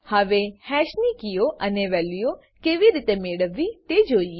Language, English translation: Gujarati, Now, let us see how to get all keys and values of hash